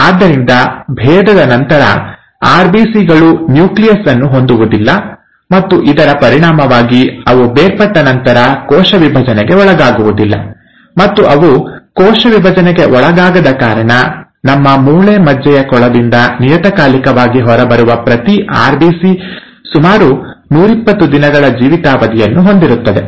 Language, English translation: Kannada, So upon differentiation, the RBCs do not have nucleus, and as a result they do not undergo cell division once they have differentiated, and because they do not undergo cell division, each RBC which periodically keeps coming out of our bone marrow pool has a life span of about one twenty days